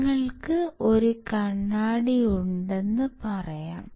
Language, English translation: Malayalam, So, let us say you have a mirror